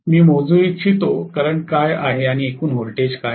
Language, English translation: Marathi, I would like to measure, what is the current and what is the total voltage